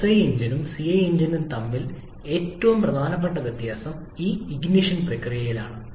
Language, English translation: Malayalam, The most important difference between SI engine and CI engine are in this ignition process